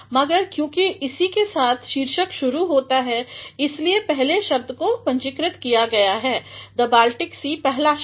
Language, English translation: Hindi, But, since with this the title begins that is why the first word has been capitalized, the Baltic Sea the first letter